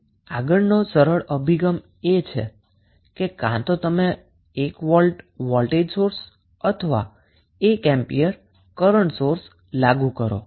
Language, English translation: Gujarati, So, next the simple approach is either you apply 1 volt voltage source or 1 ampere current source